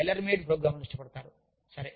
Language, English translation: Telugu, So, they like tailor made programs